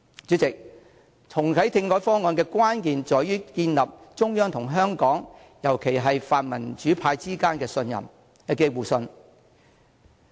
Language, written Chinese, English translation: Cantonese, 主席，重啟政改方案的關鍵在於建立中央與香港，尤其是與泛民主派的互信。, President the key to reactivating constitutional reform is the establishment of mutual trust between the Central Authorities and Hong Kong especially the pan - democratic camp